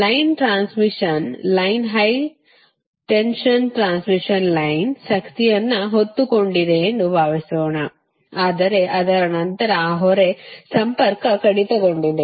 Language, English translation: Kannada, i repeat this: suppose a line transmission line, high tension transmission line, was carrying power, but after that that load is disconnected